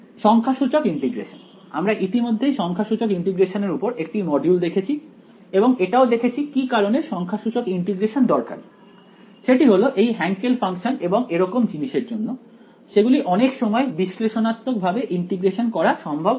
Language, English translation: Bengali, Numerical integration, we have already seen one module on numerical integration and the reason why numerical integration is necessary is because these functions Hankel functions and so on, they are often not analytical integrable